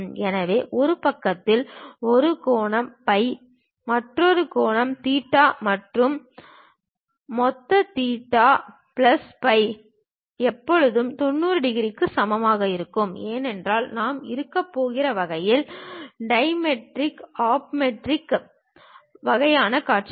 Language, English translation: Tamil, So, something like an angle phi on one side, other angle theta, and total theta plus phi is always be less than is equal to 90 degrees; because we are rotating in such a way that, dimetric ah, trimetric kind of views we are going to have